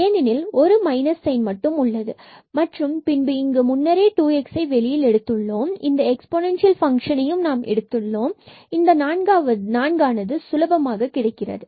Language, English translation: Tamil, So, with minus sign because there was minus there and then here we have taken already 2 times x and this exponential function, so we will get simply 4 here